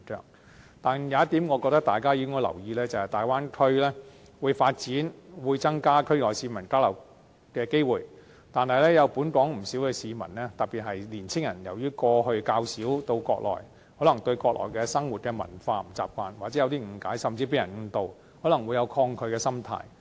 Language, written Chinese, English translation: Cantonese, 不過，我認為有一點值得大家留意，便是大灣區會發展，會增加區內市民交流機會，然而本港有不少市民，特別是年青人由於過去較少到國內，可能不習慣國內的生活文化或有些誤解，甚至被人誤導，可能會有抗拒的心態。, Yes the Bay Area is about to witness massive development and this will bring forth many more opportunities for interactions among people in the area . But we should note that many Hong Kong people young people especially have rarely visited the Mainland so the lifestyle and culture over there may be a bit strange to them . They may thus form some wrong ideas or may even be misled by others